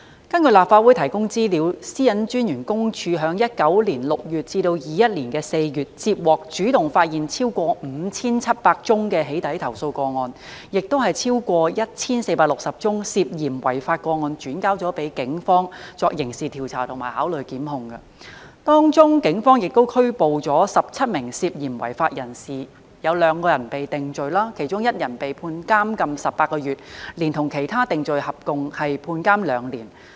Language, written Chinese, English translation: Cantonese, 根據立法會提供資料，香港個人資料私隱專員公署於2019年6月至2021年4月，接獲和主動發現超過 5,700 宗"起底"投訴個案，亦把超過 1,460 宗涉嫌違法個案轉交警方作刑事調查及考慮檢控，當中警方拘捕了17名涉嫌違法人士，有2人被定罪，其中1人被判監禁18個月，連同其他定罪合共判監2年。, According to the information provided by the Legislative Council the Office of the Privacy Commissioner for Personal Data PCPD received and detected over 5 700 complaints about doxxing during the period from June 2019 to April 2021 and it referred over 1 460 suspected law - breaking cases to the Police for criminal investigation and its consideration of prosecution . Speaking of those cases the Police arrested 17 suspected law - breakers and two of them were convicted . One of them was sentenced to 18 months imprisonment and he received a combined sentence of two years imprisonment together with his conviction for other offences